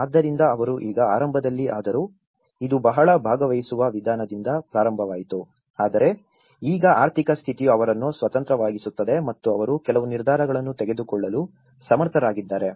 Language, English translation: Kannada, So, they are able to, now in the beginning though initially, it has started with a very participatory approach but now because the economic status is making them independent and they are able to take some decisions